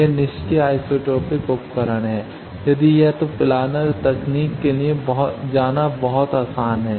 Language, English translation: Hindi, It is passive isotropic device if it is then it is very easy to go for planar technology